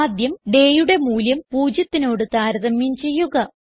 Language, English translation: Malayalam, First the value of day is compared with 0